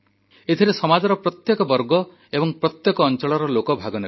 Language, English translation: Odia, It will include people from all walks of life, from every segment of our society